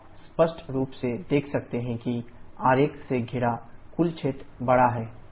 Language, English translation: Hindi, You can clearly see that the total area enclosed by the diagram is larger